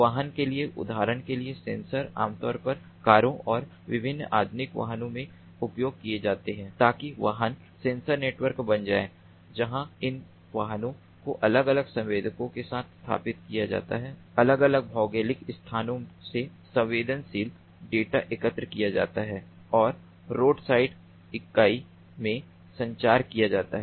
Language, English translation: Hindi, for vehicles, for example, sensors are typically used in cars and different modern day vehicles, so that becomes vehicular sensor network, where these vehicles are fitted with different sensors, the sensed data from the different geographical locations and transmit to the road side unit